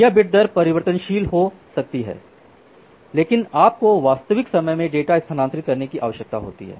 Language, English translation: Hindi, So, here the bit rate can be variable, but you need to transfer the data in real time